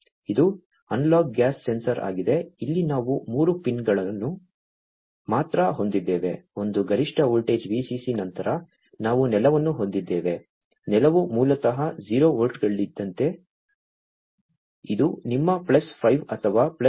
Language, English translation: Kannada, It is a analogue gas sensor here we have three pins only; one is the maximum voltage the VCC then we have the ground; ground is basically like 0 volts, this is like your plus 5 or plus 3